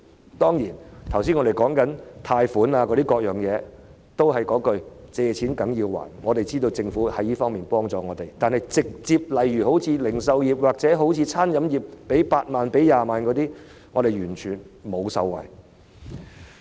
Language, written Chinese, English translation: Cantonese, 我剛才提及的貸款等各項措施，也是"借錢梗要還"，我們知道政府已在這方面幫助我們，但直接向零售業或餐飲業提供8萬元、20萬元資助等措施，製造業卻完全無法受惠。, As regards the loan - related measures I mentioned just now my point is likewise money borrowed must be repaid . We know that the Government has assisted us in this regard but the manufacturing industry can by no means benefit from the subsidies of 80,000 or 200,000 provided directly for the retail industry or the catering industry